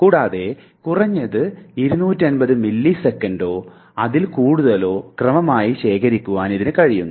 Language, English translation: Malayalam, And furthermore it can also store the sequence of at least 250 milliseconds or more